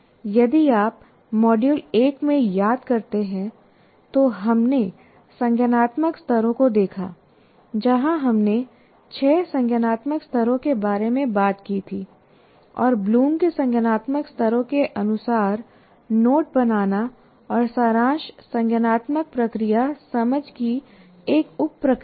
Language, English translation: Hindi, And if you recall, in module one we looked at the cognitive activities, cognitive levels where we talked about six cognitive levels and note making and summarization is a sub process of the cognitive process, understand as per Bloom cognitive activity